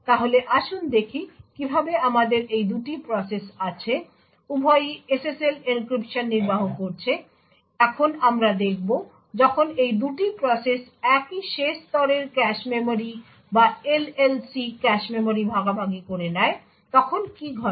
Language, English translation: Bengali, So let us see how we have these 2 processes; both executing SSL encryption, now we will look at what happens when these 2 processes share the same last level cache memory or the LLC cache memory